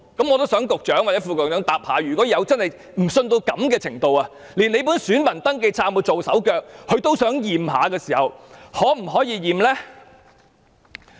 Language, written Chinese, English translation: Cantonese, 我想局長或副局長回答，如果市民不信任到這個程度，懷疑政府的選民登記冊有被"做手腳"而想檢查的時候，我們可否提出檢查呢？, I wish to seek an answer from the Secretary or the Under Secretary . In view of peoples distrust in the Government to the point of suspecting that its electoral register has been tampered with can we request an inspection of its electoral register if we so wish?